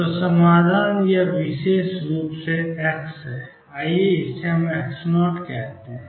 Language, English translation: Hindi, So, solution is this particular x let us call it x naught